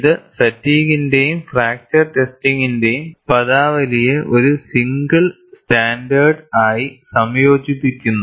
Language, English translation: Malayalam, This combines the terminology of both fatigue and fracture testing, into a single standard